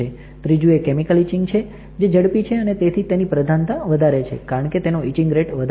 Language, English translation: Gujarati, Third is chemical etching is faster, it is more preferable because of the high etching rate